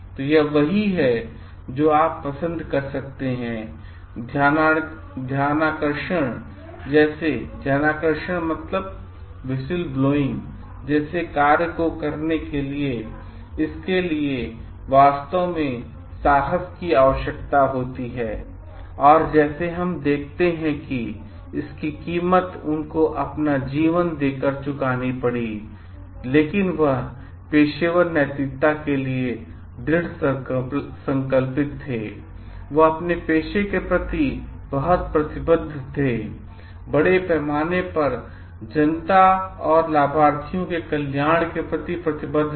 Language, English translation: Hindi, So, this what you can like yes even if it like practices of whistleblowing, this requires really courage and like let us see it cost his life, but he was so determined for his professional ethics, he was so committed towards the cause of his profession and to the bringing in like the thinking of the welfare of the beneficiaries at large the public at large